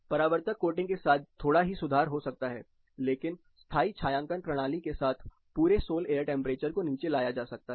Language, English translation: Hindi, There can be a slightly better improvement with reflective coating, but with permanent shading system, the whole sol air temperature can be brought down